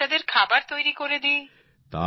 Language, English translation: Bengali, I cook for the children